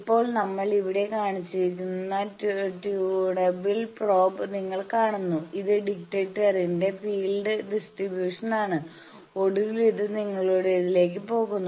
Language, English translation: Malayalam, Now, you see the tunable probe we have shown here, this is the field distribution of the detector and finally, it is going to either yours